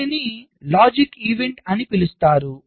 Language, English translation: Telugu, this is termed as logic event